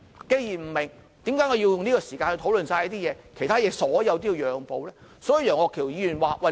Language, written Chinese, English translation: Cantonese, 既然不明白，為何要花時間討論這些東西，而其他所有事項都要讓步呢？, Given this lack of understanding why should we spend time on discussing these things while all other items have to give way?